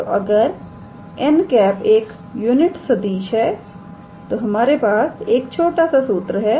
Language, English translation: Hindi, So, and if n is the unit vector so, we have a very we have a small formula